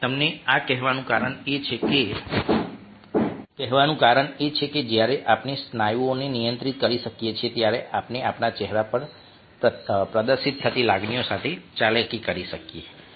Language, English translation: Gujarati, the reason for telling this to you is because when we can control the muscles, we are able to manipulate the emotions which have been displayed one or faces